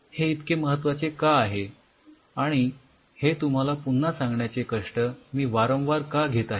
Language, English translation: Marathi, Why these values an important and why am I taking the pain to tell you this once again